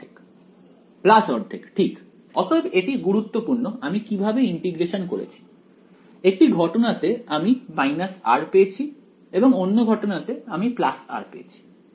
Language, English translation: Bengali, Plus 1 by 2 right; so, it did matter how I did the integration, in one case I get a minus r in the other case I get a plus r